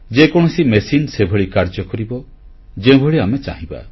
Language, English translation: Odia, Any machine will work the way we want it to